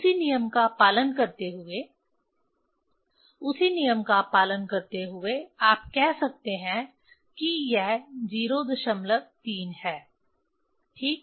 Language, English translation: Hindi, Following the same rule, following the same rule you can say it is a 0